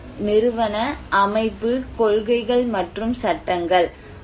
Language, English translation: Tamil, One is institutional, organization, policies and legislations